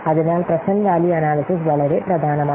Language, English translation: Malayalam, So present value analysis is very much important